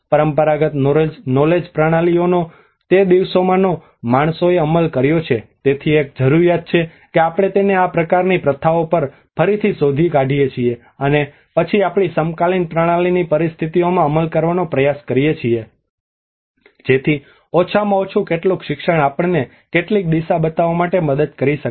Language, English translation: Gujarati, The traditional knowledge systems which of that days man have implemented so there is a need that we can relook into it rediscover into these kinds of practices and then try to implement in our contemporary practice situations so at least some learning could help us should show some direction